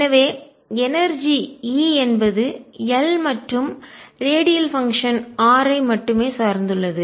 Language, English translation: Tamil, So, the energy E depends on L and radial function r only